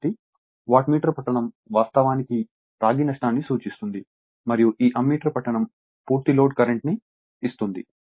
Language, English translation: Telugu, So, Wattmeter reading actually will give you the copper loss and this Ammeter reading will that give the your what you call full load current